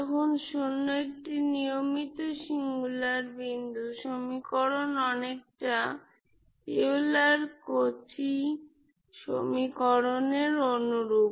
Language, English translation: Bengali, When 0 is a regular singular point the equation is much similar to Euler Cauchy equation